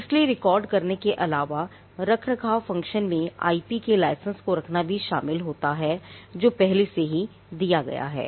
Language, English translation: Hindi, So, the maintenance function also involves apart from record keeping the licensing of the IP that is already granted